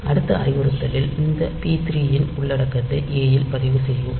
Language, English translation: Tamil, And the next instruction it will read the content of this p 3 registered into a